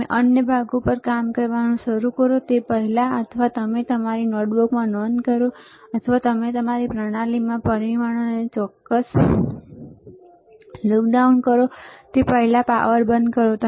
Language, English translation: Gujarati, Switch off the power before you start working on other parts, or you note down in your notebook, or you lock down the results in your system, right